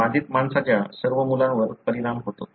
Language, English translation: Marathi, All sons of an affected man are affected